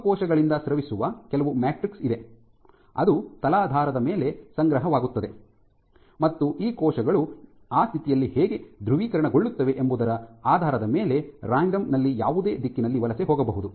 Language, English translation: Kannada, So, there is some you know matrix secreted by the cells which gets deposited into the substrate, and the cells can migrate in any direction completely randomly depending on how it is polarized at that in state